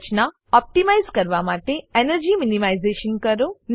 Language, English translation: Gujarati, Do the energy minimization to optimize the structure